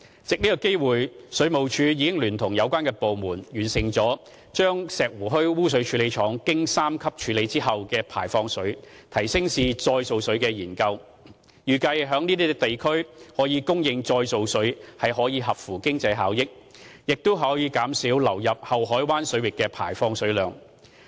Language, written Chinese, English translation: Cantonese, 藉此機會，水務署已聯同有關部門，完成了把石湖墟污水處理廠經三級處理後的排放水提升至再造水的研究，預計在該等地區供應再造水可合乎經濟效益，並可減少流入后海灣水域的排放水量。, Taking this opportunity the Water Supplies Department in joint efforts with other relevant departments has completed a study on upgrading the tertiary treated effluent of Shek Wu Hui Sewage Treatment Works to reclaimed water . It is expected that provision of reclaimed water in nearby districts is cost - effective and can reduce effluent discharge into the waters in Deep Bay